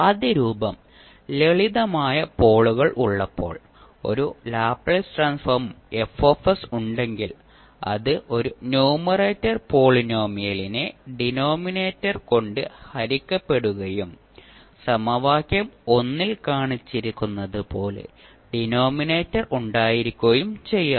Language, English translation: Malayalam, Let me see, if you have a transfer Laplace transform F s, which is represented as a numerator polynomial divided by denominator and where you can have the denominator as shown in the equation